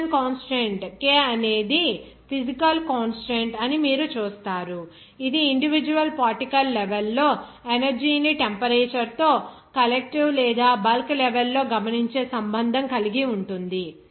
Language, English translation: Telugu, There you will see that Boltzmann constant K is the physical constant that relates energy at the individual particle level with the temperature that is observed at the collective or bulk level